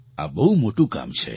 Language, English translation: Gujarati, This is an enormous task